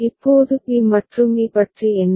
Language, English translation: Tamil, Now what about b and e